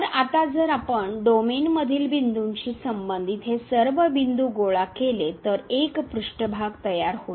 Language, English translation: Marathi, So, now if we collect all these points corresponding to the point in the domain, we this surface will be formed